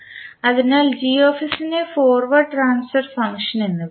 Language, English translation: Malayalam, So Gs is called as forward transfer function